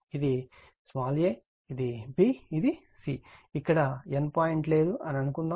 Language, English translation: Telugu, Suppose, this is a, this is b, this is c right, no N point is involved here